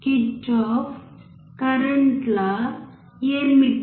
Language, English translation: Telugu, What is Kirchhoff’s current law